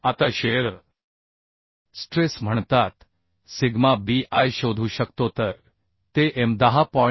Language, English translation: Marathi, Now shear stress due to bending versus sigma b I can find out so that will be m 10